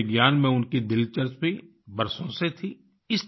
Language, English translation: Hindi, For years he had interest in meteorology